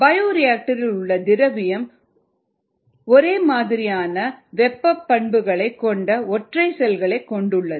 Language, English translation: Tamil, the solution in the bioreactor consist of single cells with similar thermal response characteristics